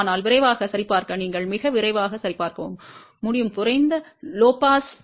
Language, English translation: Tamil, But just to check quickly, you can do a very quick check also for a low pass